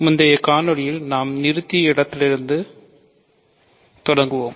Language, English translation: Tamil, So, let us just take off, start from where we stopped in the previous video